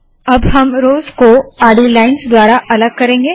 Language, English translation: Hindi, We will now separate the rows with horizontal lines as follows